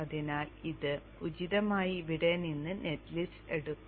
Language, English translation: Malayalam, So it will appropriately take the net list from here